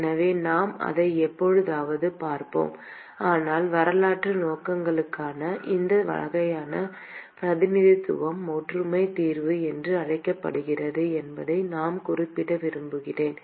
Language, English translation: Tamil, So, we will look at that sometime, but just for historical purposes, I want to mention that this type of representation is called similarity solution